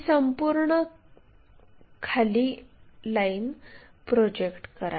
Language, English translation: Marathi, Project this entire line